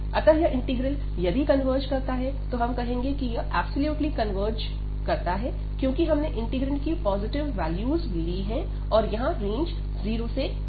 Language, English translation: Hindi, So, if this integral converges, we call that this integral converges absolutely, because we have taken the positive values of this integrant for the range here 0 to infinity